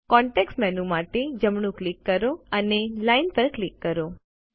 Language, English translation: Gujarati, RIght click for the context menu and click Line